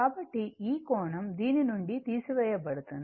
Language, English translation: Telugu, So, this angle will be subtracted from this one